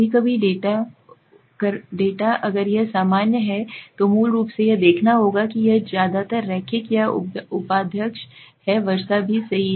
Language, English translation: Hindi, Sometimes data if it is normal basically it has to see that it is also mostly linear or vice versa also right